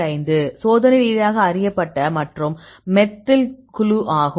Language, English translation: Tamil, 5; experimentally known and the methyl group